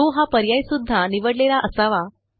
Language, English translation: Marathi, The SHOW option should also be checked